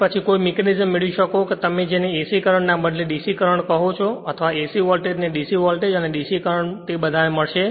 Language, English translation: Gujarati, So, then by some mechanism then we can get that your what you call DC current, instead of your the AC current, or your AC voltage we will get DC voltage and DC current